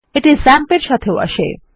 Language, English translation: Bengali, It also comes with XAMPP